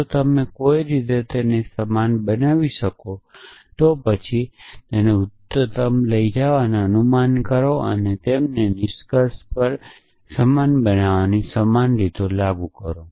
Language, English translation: Gujarati, If you can somehow make them the same, then go higher and make the inference and apply the same way of making them the same to the conclusion as well essentially